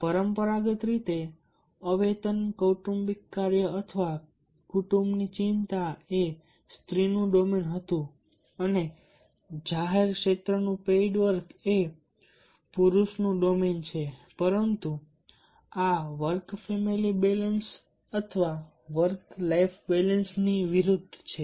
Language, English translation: Gujarati, traditionally, the unpaid family work or family concern was the womans domain and the public sphere paid work is a mans domain and the reverse of this work family conflict, with the work family balance or the work life balance